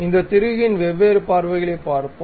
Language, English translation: Tamil, Let us look at different views of this bolt